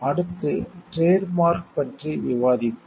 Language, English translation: Tamil, Next we will discuss about trademark